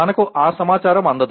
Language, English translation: Telugu, We do not receive that information